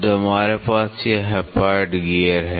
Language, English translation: Hindi, So, we have this Hypoid gears